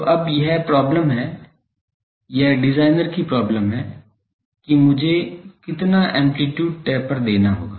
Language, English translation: Hindi, So, now this is the problem, this is the designers problem that how much amplitude taper I will have to give